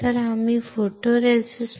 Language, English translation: Marathi, So, what is positive photoresist